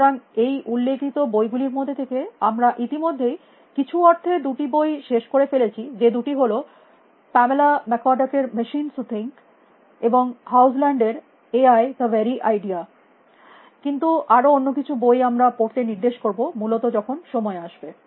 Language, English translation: Bengali, So, already from these reference books, we have in some sense finished with two of them which is Pamela McCorduck machines who think and John Haugeland AI the very idea artificial intelligence is the very idea, but some of the other books we will refer to as and when the time comes essentially